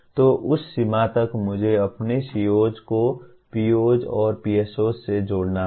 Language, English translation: Hindi, So to that extent I need to relate my or connect my COs to POs and PSOs